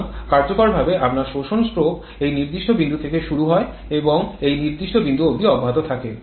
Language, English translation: Bengali, So, effectively your suction stroke starts from this particular point and continues till this particular point